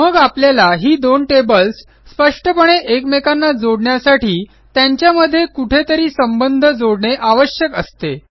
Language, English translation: Marathi, So to explicitly connect these two tables, we will still need to link them someway